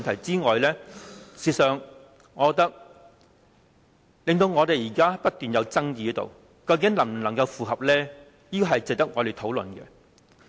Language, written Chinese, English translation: Cantonese, "此外，除了這兩個點，我們現在不斷在爭議，究竟它能否符合《基本法》呢？, What is more besides these two points we are also disputing whether the Governments proposal can comply with the Basic Law